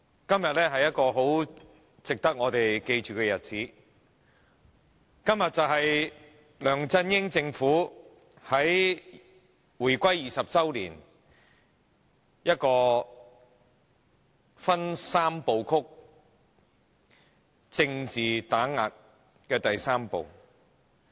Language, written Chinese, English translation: Cantonese, 今天是值得大家銘記的日子，因為今天梁振英政府在回歸20周年之際，進行政治打擊三步曲的第三步。, Today is a day for us to remember because on this very day the LEUNG Chun - ying Administration proceeds with the third step of its Trilogy of Political Suppression at the 20 Anniversary of the Establishment of HKSAR